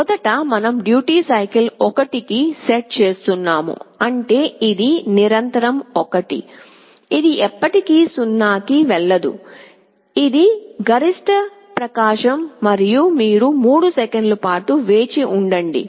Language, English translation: Telugu, First we are setting duty cycle to 1, which means it is continuously 1, it is never going 0, this is the maximum brightness, and you wait for 3 seconds